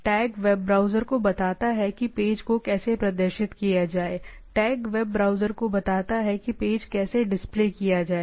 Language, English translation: Hindi, Tags tell the web browser how to display a page right, the tag tells a web browser how to display a page